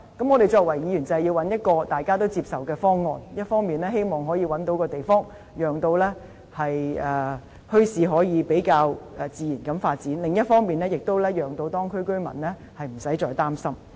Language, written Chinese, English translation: Cantonese, 我們作為議員便是要尋求大家也接受的方案，一方面希望可以覓得地方，讓墟市可以比較自然地發展；另一方面，也可讓當區居民無須再擔心。, Our duty as Members is to find a proposal acceptable to all parties . On the one hand it is hoped that sites can be identified so that bazaars can develop in a more natural way; on the other it is hoped that the minds of local residents can be put at ease